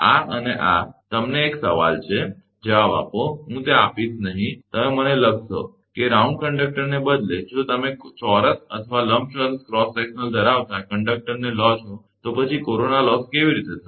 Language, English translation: Gujarati, These and this is a question to, you answer I will not give that, you would write to me that, instead of round conductor, if you take a conductor having cross sectional is a square or rectangular, whatsoever then, how will be the corona loss right